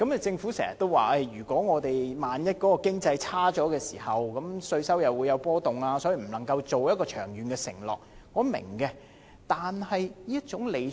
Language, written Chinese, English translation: Cantonese, 政府經常說，萬一我們的經濟環境轉差，稅收便會有波動，所以無法作出長遠承諾，這一點我明白。, The Government often says that should our economic conditions worsen tax revenue would fluctuate and so it is unable to make long - term pledges . I understand it